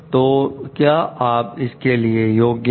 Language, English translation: Hindi, So, and whether you are competent for it